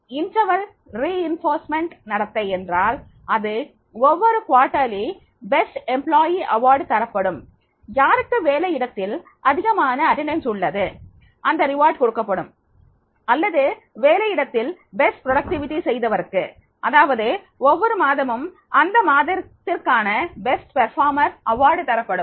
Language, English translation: Tamil, The interval reinforcement behavior means that is every quarterly the best employee award will be given who is having the highest attendance at the workplace that the reward will be given or the person who has demonstrated the best productivity at the workplace that every monthly, monthly the best performer reward will be given